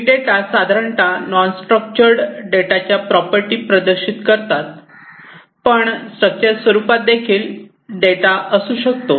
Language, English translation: Marathi, So, big data are typically the ones which exhibit the properties of non structured data, but they could also have structure data